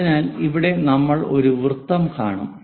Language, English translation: Malayalam, So, here we will see a circle